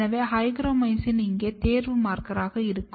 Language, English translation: Tamil, So, hygromycin will be my selection marker over here